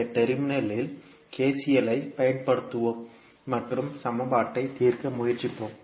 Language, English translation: Tamil, We will apply KCL at this particular node and try to solve the equation